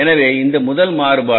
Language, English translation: Tamil, So this is the first variance